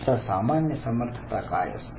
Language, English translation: Marathi, So, what are general abilities